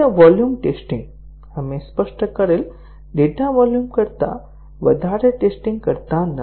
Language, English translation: Gujarati, So, volume testing; we do not test beyond what is specified data volume